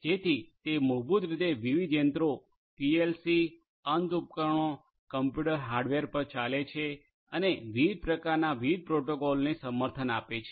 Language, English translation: Gujarati, So, it basically runs on different machines PLCs, end devices, computer hardware and so on and supports different varied different types of protocols